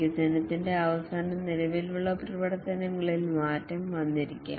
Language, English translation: Malayalam, At the end of development, maybe the existing functionalities might have changed